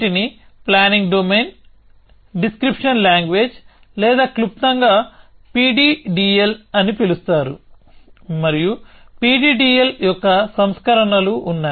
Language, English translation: Telugu, So, these are called planning domain, description language or in short PDDL and there are versions of PDDL